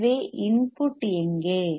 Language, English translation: Tamil, So, where is the input